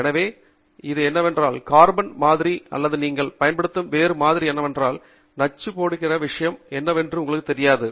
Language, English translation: Tamil, So, whatever it is, whether it is, you know, carbon sample or any other sample that you are using, you donÕt know what is the thing that is going to be toxic